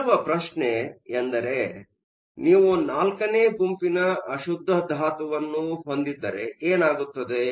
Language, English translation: Kannada, Question is what happens if you have a group four impurity